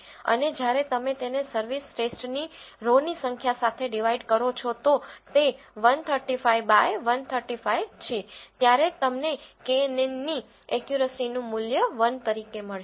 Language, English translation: Gujarati, And when you divide that with the number of rows in the service test that is 135 by 135, you will get the value of knn accuracy as 1